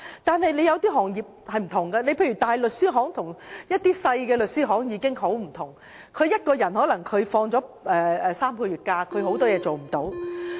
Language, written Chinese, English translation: Cantonese, 但有些行業則不然，例如大型律師行與小型律師行已截然不同，只要有一名員工放取3個月的假期，有很多事情便無法辦到。, But some trades do not have such a practice . For example large law firms are vastly different from the small ones the operation of which will be much affected by the absence of a staff member for a period of three months